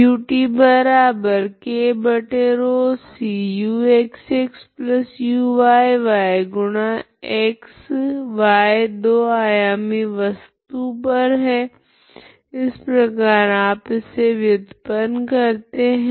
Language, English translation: Hindi, So x, y belongs to that body, okay two dimensional body this is how you derive, okay